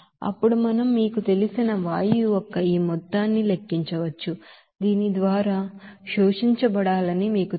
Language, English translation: Telugu, So we can then calculate this amount of you know gas to be you know absorbed by this you know absorber there